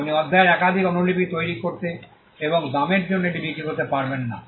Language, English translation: Bengali, You cannot make multiple copies of the chapter and sell it for a price